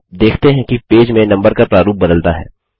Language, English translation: Hindi, You see that the numbering format changes for the page